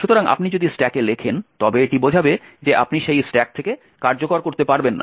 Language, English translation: Bengali, So, if you write to the stack it would imply that you cannot execute from that stack